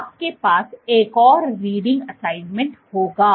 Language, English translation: Hindi, So, you will have another reading assignment